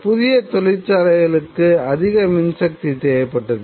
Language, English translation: Tamil, The industry, new industry, needed more power